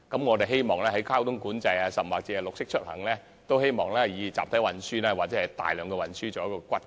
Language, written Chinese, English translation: Cantonese, 我們希望在推行交通管制，甚或是綠色出行方面也以集體運輸為骨幹。, We hope that in implementing traffic control or a green transport system we will use the mass transit system as the backbone